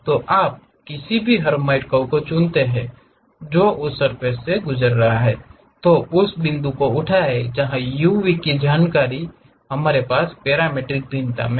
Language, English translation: Hindi, So, you pick any Hermite curve, which is passing on that surface pick that point, where u v information we have parametric variation